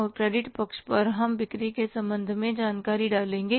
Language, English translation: Hindi, And on the credit side we'll put the information with regard to the sales